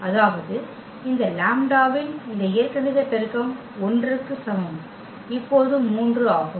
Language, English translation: Tamil, That means, this algebraic multiplicity of this lambda is equal to 1 is 3 now